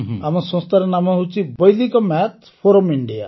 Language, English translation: Odia, The name of our organization is Vedic Maths Forum India